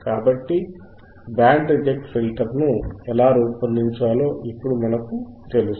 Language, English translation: Telugu, So, now we know how we can design a band reject filter right easy